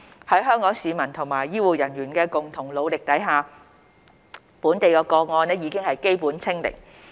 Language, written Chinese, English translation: Cantonese, 在香港市民和醫護人員的共同努力下，本地個案已基本"清零"。, With concerted efforts from the public and healthcare workers Hong Kong has basically achieved the target of zero local cases